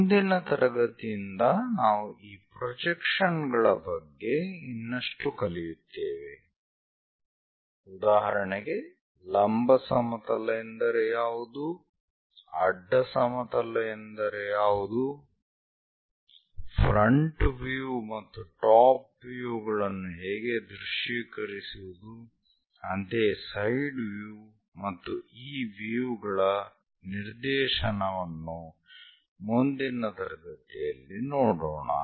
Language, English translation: Kannada, In the next class onwards we will learn more about these projections like; what is vertical plane, what is horizontal plane, how to visualize something in front view something as top view, something as side view and the directionality of these views